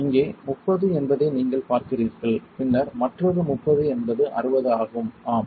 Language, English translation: Tamil, You see here is 30 and then another 30 is 60 anything else, yes